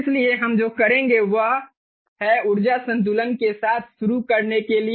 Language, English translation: Hindi, so let us do an energy balance